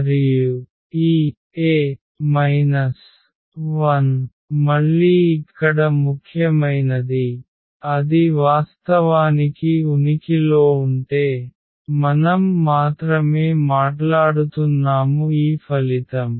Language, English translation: Telugu, And this A inverse again important here that if it exists of course, then only we are talking about this result